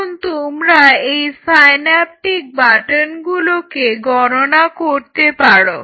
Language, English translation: Bengali, So, I am quantifying this in terms of synaptic buttons